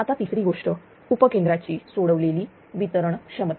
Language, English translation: Marathi, Now, third thing is the release distribution substation capacity